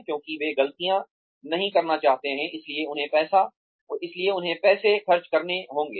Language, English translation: Hindi, Because, they do not want to make mistakes, that are going to cost them money